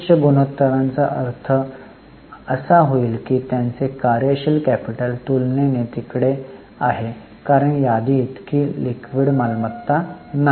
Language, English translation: Marathi, Higher ratio will mean that their working capital is relatively ill liquid because inventory is not so liquid asset